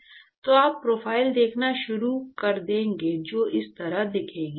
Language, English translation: Hindi, So, you will start seeing profiles which will look like this